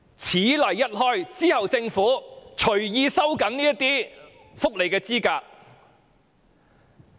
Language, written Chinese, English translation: Cantonese, 此例一開，政府以後就可隨意收緊申領福利的資格。, Once this precedent is set the Government can tighten the eligibility for welfare benefits at will in future